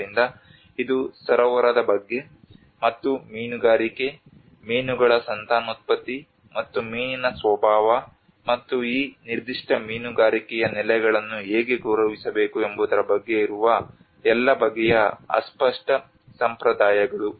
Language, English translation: Kannada, So this is all kind of intangible traditions where certain understanding of the lake, and the fishing, fish breedings and the nature of fish and how they have to respect these particular fishing grounds